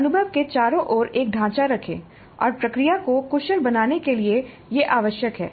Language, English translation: Hindi, So you put a frame around the experience and that is necessary to make the process efficient